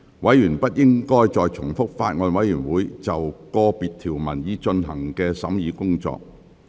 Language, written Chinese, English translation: Cantonese, 委員不應重複法案委員會就個別條文已進行的審議工作。, Members should not repeat the examination of individual clauses that have already been completed by the Bills Committee